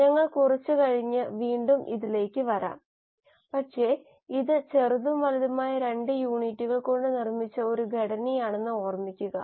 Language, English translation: Malayalam, We will come to this little later again but remember it is a structure made up of 2 units, a small and large unit